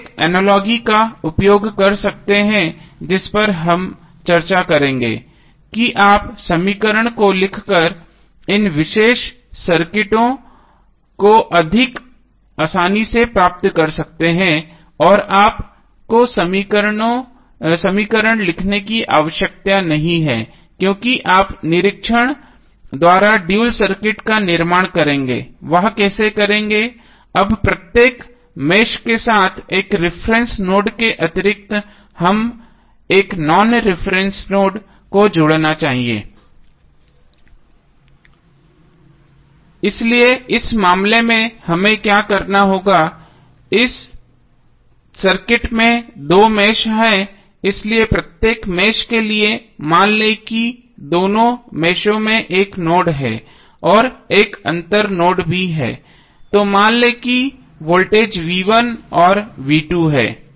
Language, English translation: Hindi, You can use one analogy which we will discuss that you can obtain this particular circuits more readily by writing the equation and you need not to write the equation why because you will construct the dual circuit by inspection, how will do that, now with each mesh we must associate one non reference node and additionally a reference node, so what will happen in this case there are two meshes which are there in this circuit, so for each mesh let us assume there is one node in both of the meshes and there is one difference node also, so let say the voltage is v1 and v2